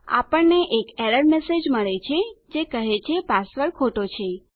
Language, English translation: Gujarati, We get an error message which says that the password is incorrect